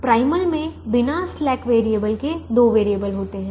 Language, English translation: Hindi, the primal has two variables without the slack variables